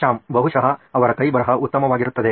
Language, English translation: Kannada, Shyam: Maybe their handwriting will be better